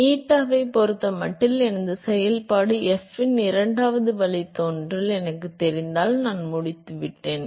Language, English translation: Tamil, So, if I know the second derivative of my function f with respect to eta, I am done